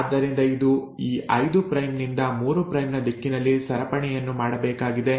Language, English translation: Kannada, So it has to make a chain in this 5 prime to 3 prime direction